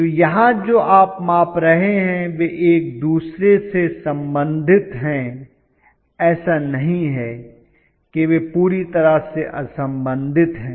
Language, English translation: Hindi, So, what you are measuring or congruent they are you know related to each other, it is not that they are completely you know unrelated